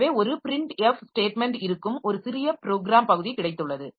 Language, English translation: Tamil, So, we have got a piece of program where there is a printf statement